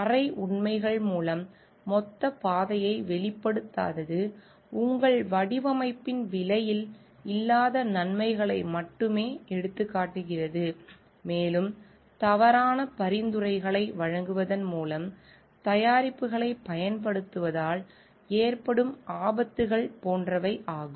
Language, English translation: Tamil, By half truths not disclosing the total path may be only highlighting on the benefits not on the cost part of your design, and like hazards of using a products by making false suggestions